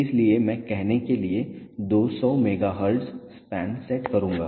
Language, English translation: Hindi, So, I will set the span to let say 200 megahertz